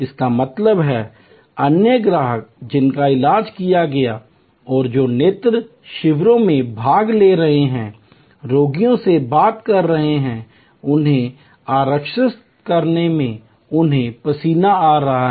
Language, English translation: Hindi, That means, other customers who have been treated and who have been cured participating in eye camps, talking to intending patients, a swaging them in assuring them